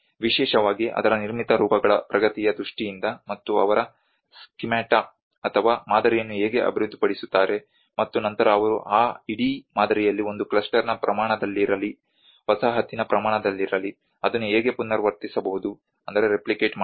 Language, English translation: Kannada, Especially in terms of the advancements of its built forms, and how they develop a schemata, or a model, and then how they can replicate it whether in a scale of a cluster whether in a scale of a settlement in that whole model